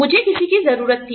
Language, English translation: Hindi, I needed somebody